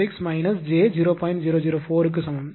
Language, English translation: Tamil, 004 per unit